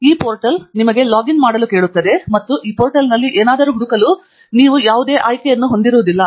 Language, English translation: Kannada, This portal is going to ask you to login and there will be no option for you to search anything on this portal